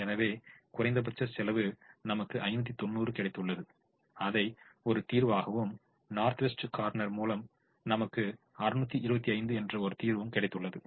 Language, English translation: Tamil, so the minimum cost gave us a solution with five hundred and ninety and the north west corner gave us a solution with six hundred and twenty five